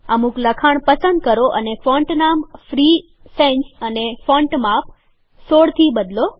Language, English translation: Gujarati, Select some text and change its font name to Free Sans and the font size to 16